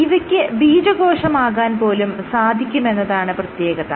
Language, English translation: Malayalam, These can also give rise to your sperm cell